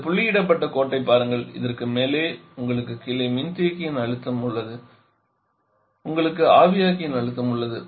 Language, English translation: Tamil, Look at this dotted line above this you have the condenser pressure below this you have the evaporator pressure